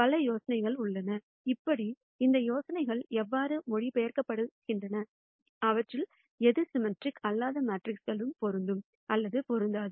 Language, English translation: Tamil, There are several ideas; how, how do these ideas translate, which ones of these are applicable or not applicable for non symmetric matrices and so on